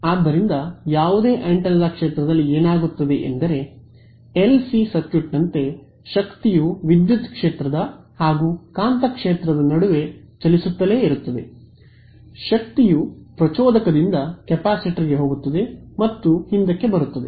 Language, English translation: Kannada, So, what happens in the near field of any antenna is that the energy keeps shuffling between the electric field to magnetic field like in LC circuit, energy goes from an inductor to capacitor and back and forth same thing happens over here